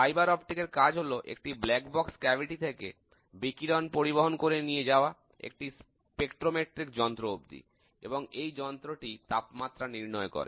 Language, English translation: Bengali, A fibre optic cable is used to transmit radiation from a black box cavity to the spectrometric device that computes the temperature